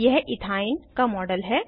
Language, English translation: Hindi, This is the model of Ethyne